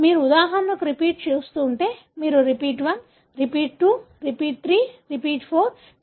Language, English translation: Telugu, So, if you are looking at repeats for example, you have repeat 1, repeat 2, repeat 3 and repeat 4